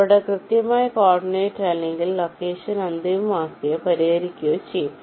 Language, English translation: Malayalam, they, their exact coordinate or location will be finalized or fixed